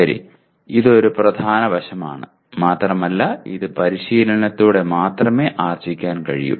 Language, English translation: Malayalam, Okay, this is a major aspect and it comes only with the practice